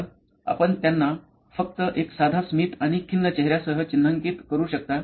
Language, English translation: Marathi, So, you can mark them out to begin with just a simple smiley and a sad face